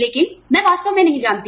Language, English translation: Hindi, But, I really do not know